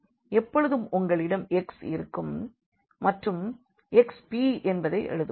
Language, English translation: Tamil, So, always you will have that this our x we can write down x p